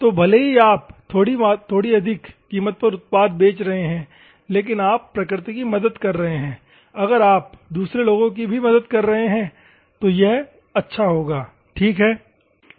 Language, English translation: Hindi, So, even though you are selling at a slightly higher price, if you are helping nature, if you are helping the other people, that will be good ok